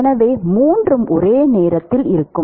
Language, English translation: Tamil, So, all three will exist simultaneously